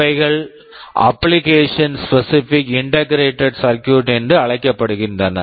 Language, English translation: Tamil, These are called application specific integrated circuit